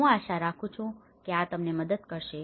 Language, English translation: Gujarati, I hope this helps you